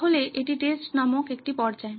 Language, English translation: Bengali, So this is the stage called Test